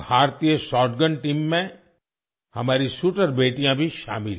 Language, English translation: Hindi, Our shooter daughters are also part of the Indian shotgun team